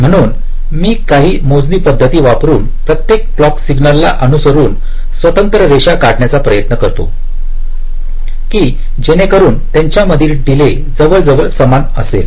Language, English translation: Marathi, so i try to draw independent lines to each of the clock signals with some calculations, such that the delay delays are approximately equal